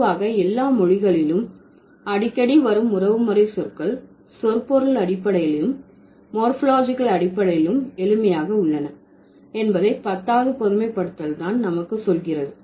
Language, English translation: Tamil, So, it's the tenth generalization which tells us that in all or most languages, kinship terms that are frequent are semantically and morphologically simple